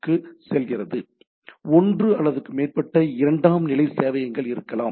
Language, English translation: Tamil, So, there can be one or more secondary server